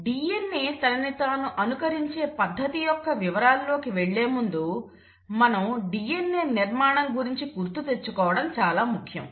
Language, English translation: Telugu, Now, before I get into the nitty gritties of exactly how DNA copies itself, it is important to know and refresh our memory about the DNA structure